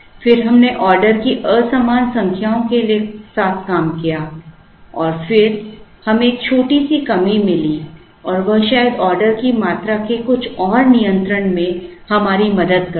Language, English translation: Hindi, Then, we worked out with unequal number of orders and then we found a small decrease and could perhaps help us in little more control of the order quantity